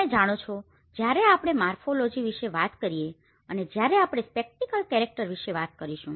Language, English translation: Gujarati, You know, when we talk about the morphology and when we talk about the spatial character